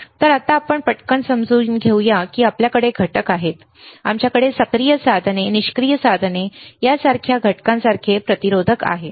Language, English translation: Marathi, So, for now let us quickly understand that we have components, we have resistors like components like active devices passive devices